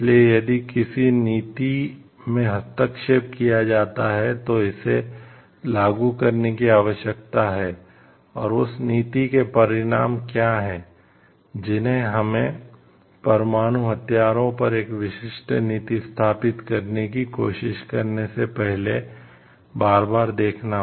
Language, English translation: Hindi, So, how if a policy is framed it needs to be executed and, what are the consequences of that policy needs to be revisited again and again before we like try to establish a particular policy regarding nuclear weapons